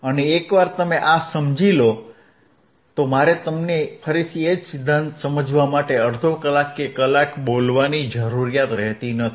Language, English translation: Gujarati, And once you understand this, I do not have to speak for half an hour onr one hour just to make you understand again the same theory again